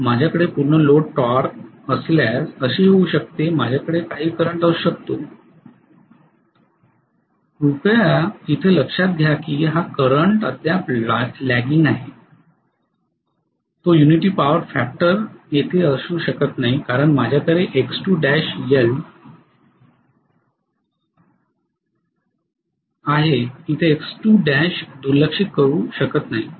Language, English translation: Marathi, So may be if I have a full load torque I may have some current like this, please note this current is still lagging it cannot be at unity power factor because I do have a X2 dash I cannot ignore X2 dash